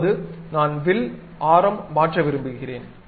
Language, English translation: Tamil, Now, I want to really change the arc radius